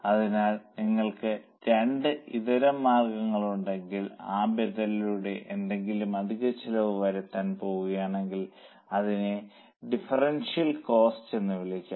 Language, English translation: Malayalam, So, if you have two alternatives and if you are going to incur any extra expense by that alternative, then it is called as a differential cost